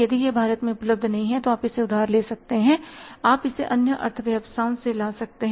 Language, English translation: Hindi, If it is not available in India you can borrow it, you can bring it from other economies